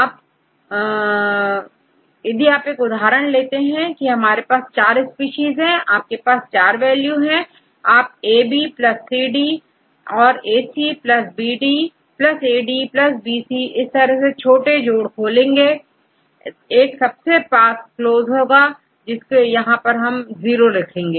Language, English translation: Hindi, Now, I have this one, for example I can have four species, you have different values you can calculate A B plus C D and AC plus BD and AD plus BC, and the smallest sum, which can come close to each other that is one and others put 0